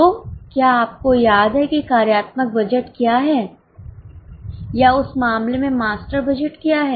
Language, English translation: Hindi, So, do you remember what is a functional budget or what is a master budget for that matter